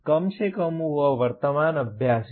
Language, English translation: Hindi, At least that is the current practice